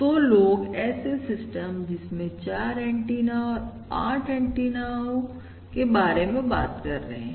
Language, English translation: Hindi, So people are already talking about systems with antenna, about 4 antennas, and also going up to 8 antennas